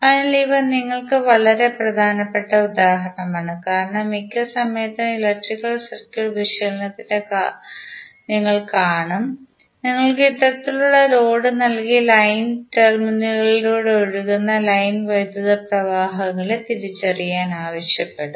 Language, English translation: Malayalam, So, these would be very important example for you because most of the time you will see in the electrical circuit analysis you would be given these kind of load to identify the line currents which are flowing across the line terminals